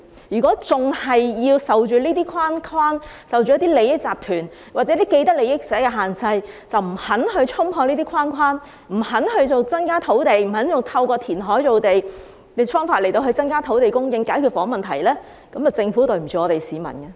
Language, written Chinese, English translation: Cantonese, 如果仍然要受這些框框、利益集團或既得利益者的限制，而不肯衝破這些框框，不肯透過填海造地等方法增加土地供應來解決房屋問題，那麼政府便對不起市民。, If the Government is still subject to such conventions interest groups or parties with vested interests instead of breaking through these conventions and increasing land supply by reclamation and other means to solve the housing problems the Government will be doing a disservice to the people